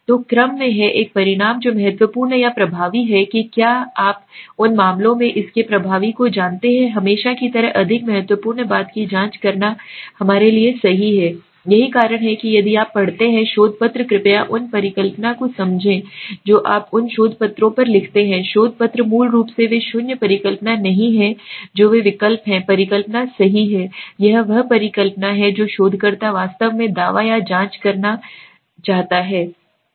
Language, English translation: Hindi, So in order to have an outcome which is significant or effective whether you know its effective in those cases we always like to check the more important thing is the alternate for us right that is why if you read research papers please understand the hypothesis that you see on those research papers written on the research papers are basically they are not the null hypothesis they are the alternative hypotheses right this is the hypothesis that the researcher actually wants to claimed or check okay